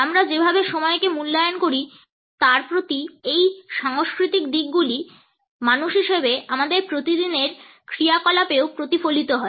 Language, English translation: Bengali, These cultural orientations towards the way we value time as people are reflected in our day to day activities also